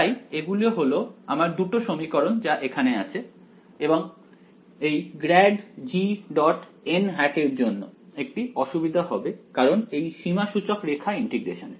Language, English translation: Bengali, So, these are our two equations over here and because of this grad g dot n hat there is going to be a problem right because in this contour integral of mine